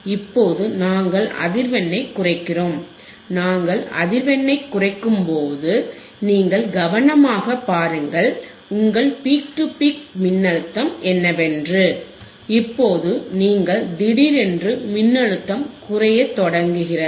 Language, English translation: Tamil, Now we are decreasing the frequency we are decreasing the frequency and you see that when we decrease the frequency, you concentrate on your peak to peak voltage alright decrease it further, decrease it further, decrease, it further and you see now suddenly you can see that the voltage is also started decreasing